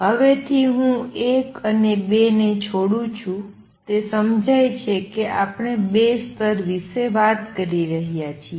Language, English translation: Gujarati, From now on I am going to drop 1 and 2; it is understood that we are talking about two levels